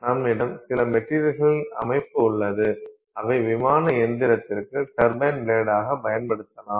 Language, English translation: Tamil, So, you have some material system that can potentially be used as a turbine blade for an aircraft engine